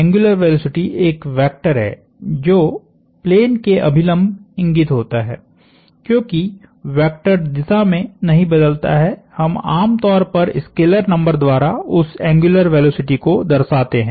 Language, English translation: Hindi, The angular velocity is a vector that points normal to the plane, since the vector does not change in direction we usually denote that angular velocity by the scalar number